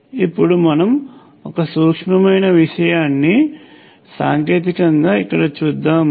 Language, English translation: Telugu, Now, there is one subtle point that I want to bring up here technically